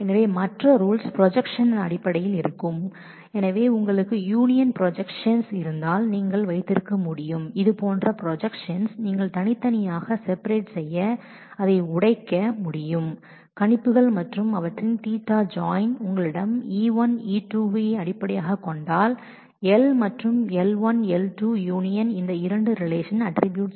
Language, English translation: Tamil, So, the other rules are will be in terms of projection so, you can have if you have union projection like this then you would be able to break it down over to do separate projections and their theta join and in case you have a theta join of E1, E2 based on theta and if L1 and L2 are the attributes of these two relations